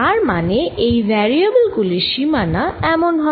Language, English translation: Bengali, so these are going to be the ranges of the variables